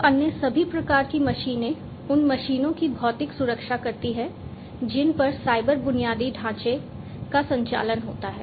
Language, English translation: Hindi, So, other all kinds of machines the physical security of the machines on which the cyber infrastructure operate